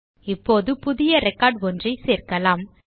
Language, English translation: Tamil, Now let us add a new record